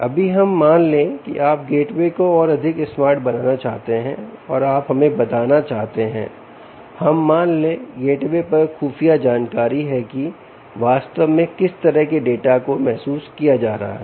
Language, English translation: Hindi, now let's assume you want to make the gateway a little more smarter, ok, and you want to tell, let's say, there is intelligence on the gateway, ah, what kind of data is actually being sensed